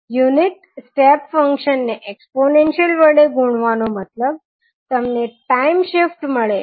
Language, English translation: Gujarati, The unit step function multiplied by the exponential means you are getting the time shift